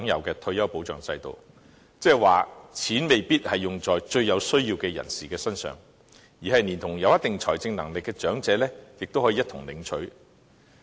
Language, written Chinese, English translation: Cantonese, 即是說，錢未必用在最有需要的人士身上，即使是有一定財政能力的長者，亦同樣可以領取。, That is to say the money may not go to the neediest people and even those elderly persons with certain financial strength can also receive the grant